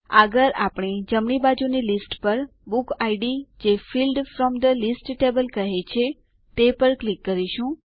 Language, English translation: Gujarati, Next we will click on book id on the right side list that says Field from the list table